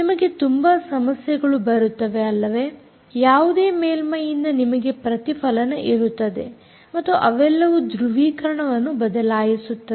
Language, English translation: Kannada, you will have reflection from any surface and all that which will change the polarization